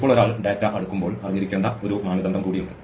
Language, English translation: Malayalam, Now, there is one more criterion that one has to be aware of when one is sorting data